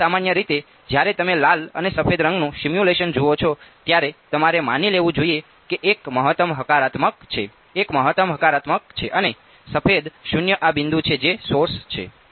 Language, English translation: Gujarati, So, typically when you see a simulation of red and white then you should have assumed that one is maximum positive, one is maximum negative and white is 0 this dot that is the source